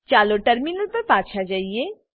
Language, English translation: Gujarati, Lets go back to the terminal